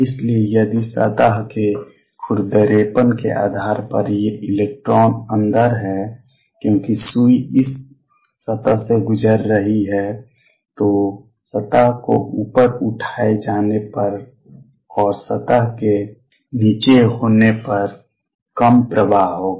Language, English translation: Hindi, So, if there this electrons inside depending on the roughness of the surface as the needle is passing over this surface, it will have more current if the surface is lifted up and less current if the surface is down